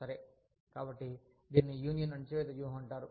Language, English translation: Telugu, So, this is called the, union suppression strategy